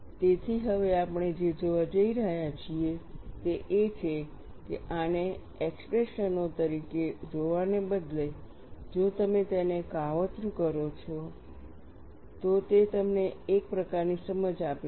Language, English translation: Gujarati, So, what we are going to look at now is, rather than looking at these as expressions, if you plot them, that gives you some kind of an insight